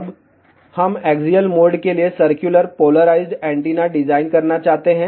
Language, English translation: Hindi, Now, we want to design for axial mode circularly polarized antenna